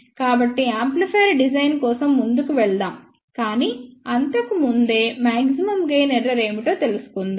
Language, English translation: Telugu, So, let us proceed for design of the amplifier, but before that again let us find out what the maximum gain error is